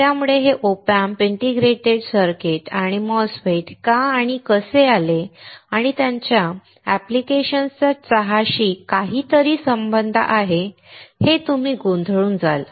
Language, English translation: Marathi, So, you will be confused why and how come this OP Amps, integrated circuits and MOSFETS and their application has something to do with tea, right